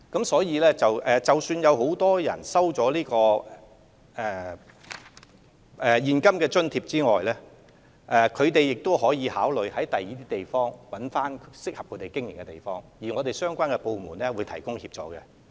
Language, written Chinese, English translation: Cantonese, 所以，即使很多作業者收取了現金津貼，他們仍可考慮在其他地方尋找適合經營的場所，政府相關部門會就此提供協助。, Therefore although many affected operators have received ex - gratia compensation they can still consider relocating their brownfield operations to other suitable sites which they have identified and the relevant government departments will render assistance in this respect